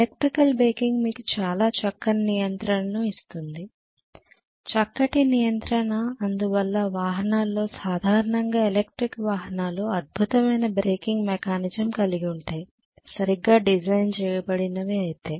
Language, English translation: Telugu, Electrical braking gives you actually very fine control extremely, fine control that is why the vehicle is generally electric vehicles will have excellent braking mechanism, if it is design properly ofcourse right